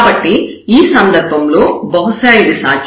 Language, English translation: Telugu, So, in this case perhaps it is possible